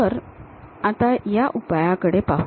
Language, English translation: Marathi, So, let us look at that